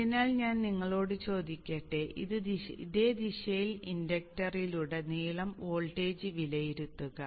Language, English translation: Malayalam, So let me assume the same direction and evaluate for the voltage across the inductor